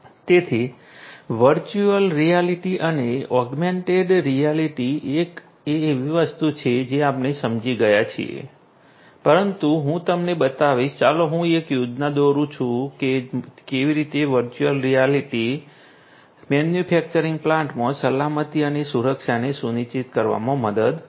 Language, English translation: Gujarati, So, virtual reality and augmented reality is something that we have understood, but let me show you, let me draw a schematic of how augmented reality would help in ensuring safety and security in a manufacturing plant